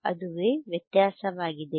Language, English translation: Kannada, tThat is thea difference